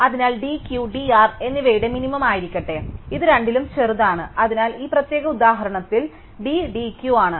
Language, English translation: Malayalam, So, let d be the minimum of d Q and d R, so it is the smaller of these two, so in this particular example d is d Q